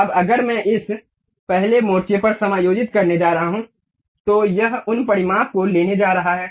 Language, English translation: Hindi, Now, if I am going to adjust at this first front it is going to take these dimensions